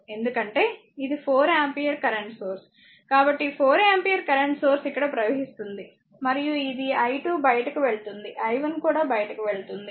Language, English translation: Telugu, So, this is 4 ampere current source, through this branch current is flowing i 2 this is i 1 current flowing through i 3 right